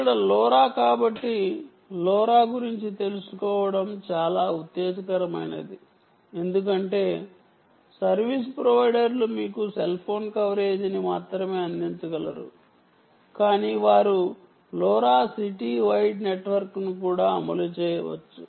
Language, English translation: Telugu, so its exciting to also know a lot about lora, because service providers can also offer you not only cell phone coverage but they can also deploy lora city wide network